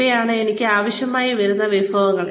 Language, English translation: Malayalam, These are the resources, I will need